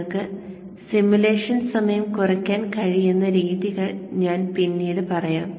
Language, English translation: Malayalam, I will later on tell you methods in which you can reduce the simulation time